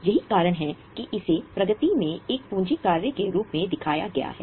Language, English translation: Hindi, That's why it is shown as a capital work in progress